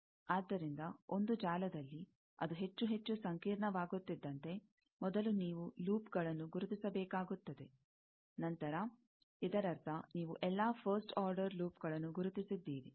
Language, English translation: Kannada, So, in a network, as it gets more and more complicated, first, you will have to identify the loops; then, that means, you have identified all the first order loops